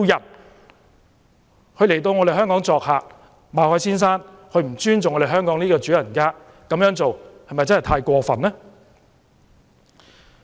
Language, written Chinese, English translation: Cantonese, 馬凱先生來港作客，卻不尊重香港這位主人家，這是否太過分呢？, Mr MALLET being a guest to Hong Kong failed to respect Hong Kong as his host; was he acting outrageously?